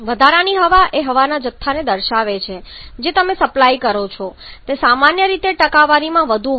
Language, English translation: Gujarati, Excess air refers to the amount of air that you are supplying generally it is, mixed in a percentage